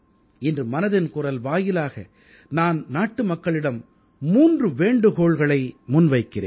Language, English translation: Tamil, Today, through the 'Mann Ki Baat' programme, I am entreating 3 requests to the fellow countrymen